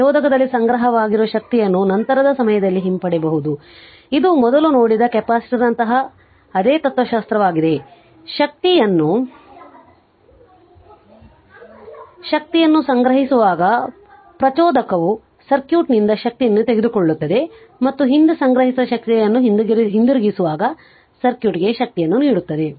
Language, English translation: Kannada, The energy stored in the inductor can be retrieved at a later time it is same philosophy like capacitor whatever we have just seen before; the inductor takes power from the circuit when storing energy and delivers power to the circuit when returning your previously stored energy right